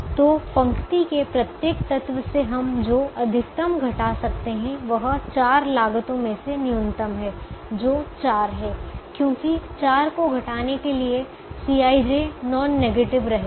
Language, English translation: Hindi, so the maximum that we can subtract from every element of the row is the minimum of the four costs, which is four, because upto subtracting four, the c i j will remain non negative